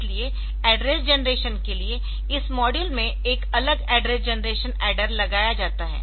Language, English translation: Hindi, So, for address generation, a separate address generation adder is put into this module